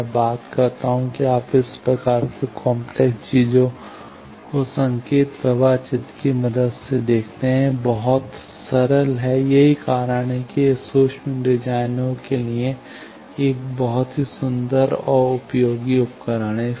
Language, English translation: Hindi, So, I thing that is you see this type of complicated things with the help of signal flow graph it got very simplifier that is why it is a very elegant and useful tool for micro designers